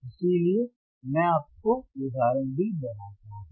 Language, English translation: Hindi, That is why, I also tell you the examples